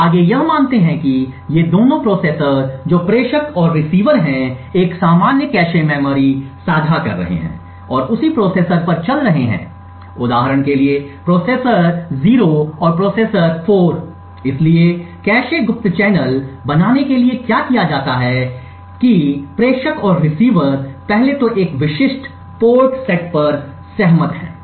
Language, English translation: Hindi, What we assume further is that both of these processors that is the sender and the receiver are sharing a common cache memory and running on the same processor for example the processor 0 and processor 4, so what is done in order to create the cache covert channel is that the sender and the receiver 1st agree upon specific set of ports